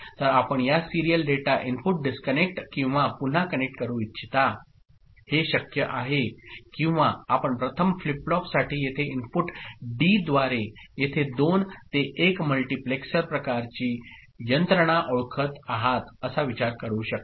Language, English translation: Marathi, So, would you like to disconnect or again connect this serial data input that is possible or you can think of a you know 2 to 1 multiplexer kind of mechanism by which this input D over here for the first flip flop ok